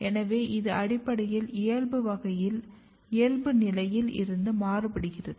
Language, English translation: Tamil, So, it is basically shifted from the original position